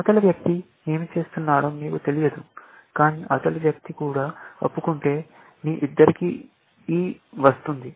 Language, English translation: Telugu, You do not know what is the other person is doing, but if the other person also confesses, then you get an E, and other person gets an E